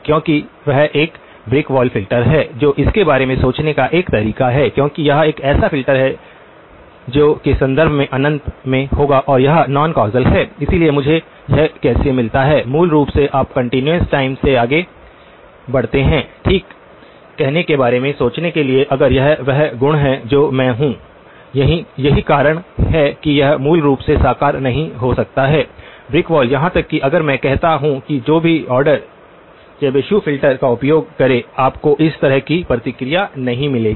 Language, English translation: Hindi, Because that is a brick wall filter and one way to think about it is because this is a filter that will be in infinite in terms of and it is non causal, so how do I get so, basically you move over from the continuous time to thinking about saying okay, if this is the property that I am, this is why it is not realizable basically, the brick wall even if I say use whatever order Chebyshev filter you will not get a response like this